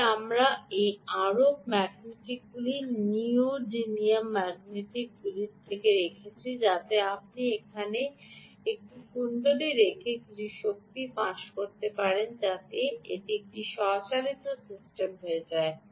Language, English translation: Bengali, but we also put those ah arc magnets, ah neodymium magnets, so that you could leach some amount of energy from by putting a coil there, so that it becomes a self powered system